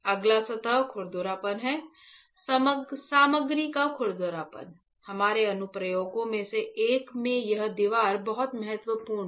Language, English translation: Hindi, Next is the surface roughness the roughness of this material; this wall is very important in our one of applications